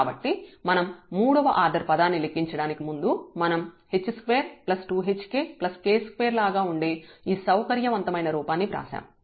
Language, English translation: Telugu, So, this is before we compute the third order term we have written this little more a convenient form that this is like h square two h k plus k square